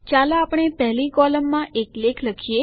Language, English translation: Gujarati, Let us write an article in our first column